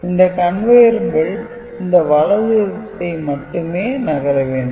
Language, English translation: Tamil, So, basically the conveyer belt is moving in the reverse direction